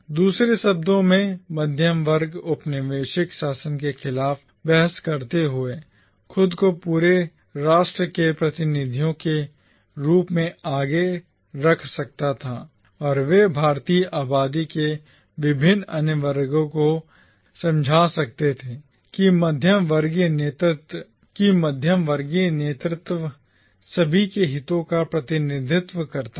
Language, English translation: Hindi, In other words, the middle class, while arguing against the colonial rule, could put themselves forward as representatives of the entire nation and they could convince the various other sections of the Indian population that the middle class leadership represented the interests of all the factions of the Indian population